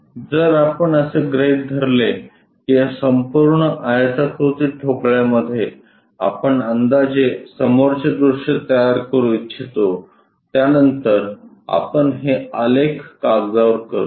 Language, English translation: Marathi, So, this entire rectangular block if let us assume that in this we would like to construct approximate front view after that we will do it on the graph sheet